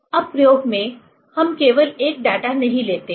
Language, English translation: Hindi, Now, in experiment, we do not take only one data